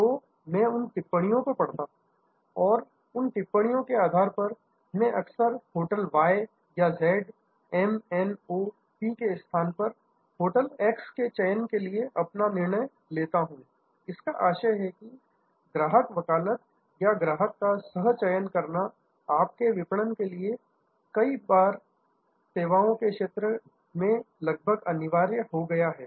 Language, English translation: Hindi, So, I read those comments and based on those comments, I often make my decision for hotel x instead of hotel y or z or m, n, o, p, which means that, customer advocacy or co opting the customer for your marketing has now become almost mandatory for many, many services